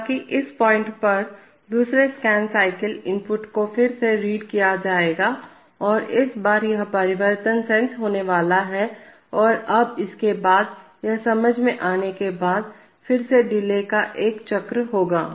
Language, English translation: Hindi, However, at this point, at this point in the second scan cycle inputs will be read again and this time, this change is going to be sensed and now after this, after having sense this, there will again be one cycle of delay